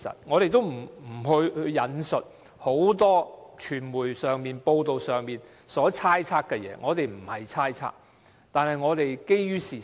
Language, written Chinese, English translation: Cantonese, 我們沒有引述很多傳媒報道所猜測的事情，我們不是猜測，而是基於事實。, We have not quoted the speculations from many media reports . We are not being speculative but are based on facts